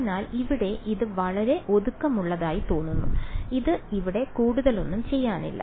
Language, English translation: Malayalam, So, it looks very compact over here it looks like this not much to do over here